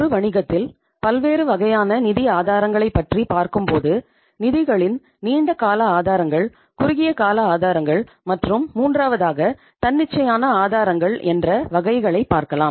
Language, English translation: Tamil, So when you talk about the different sources of the finance in any business, we have long term sources of the funds, we have short term sources of the funds and the third one is the spontaneous sources of the finance